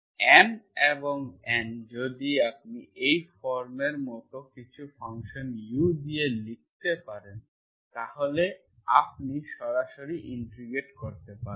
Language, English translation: Bengali, M, M and N, if you can write like this form with some function u, then you can integrate, directly integrate